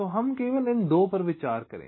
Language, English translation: Hindi, so lets consider only two